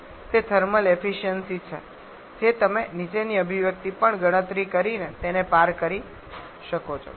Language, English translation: Gujarati, 8% so that is the thermal efficiency you can cross check that one by you calculating following equation as well